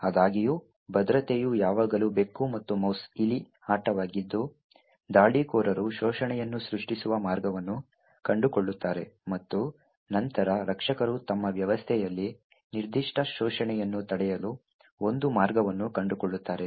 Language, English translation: Kannada, However, security has always been a cat and mouse game the attackers would find a way to create an exploit and then the defenders would then find a way to prevent that particular exploit from running on their system